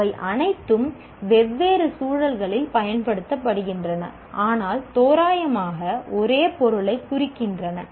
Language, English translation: Tamil, All of them are used in different contexts, but also approximately meaning the same thing